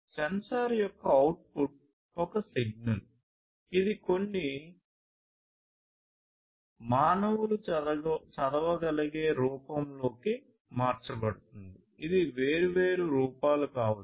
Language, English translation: Telugu, So, the output of the sensor is a signal which is converted to some human readable form